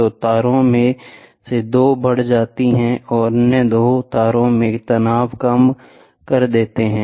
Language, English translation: Hindi, So, two wires; two of the wires elongates and reduces the tension in the other two wires